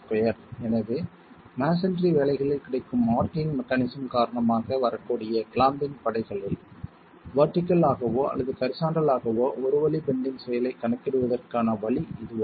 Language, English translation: Tamil, So this is a way of accounting for your in one way bending action, vertical or horizontal the clamping forces that can come because of arching mechanism available in masonry